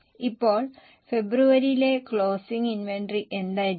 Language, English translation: Malayalam, Now, what will be the closing inventory for February